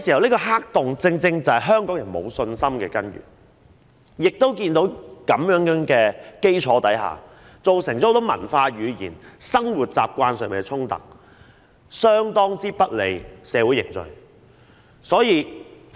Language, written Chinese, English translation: Cantonese, 這個黑洞往往正是香港人沒有信心的根源，在這基礎下，亦造成很多文化、語言、生活習慣上的衝突，相當不利社會的凝聚。, A black hole like this is exactly the source of distrust among Hong Kong people . On that basis many cultural conflicts and disputes concerning languages and living habits have arisen which could work greatly to the disadvantage of social cohesion